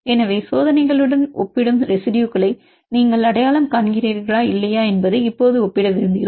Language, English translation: Tamil, So, now we want to compare whether you identify the residues which are compare with experiments or not